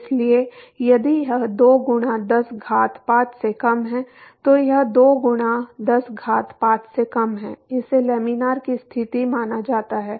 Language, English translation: Hindi, So, if this is less than 2 into 10 power 5 this is less than 2 into 10 power 5 it is considered as laminar conditions